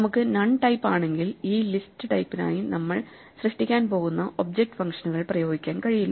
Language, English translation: Malayalam, So, once we have none, we cannot apply the object functions we are going to create for this list type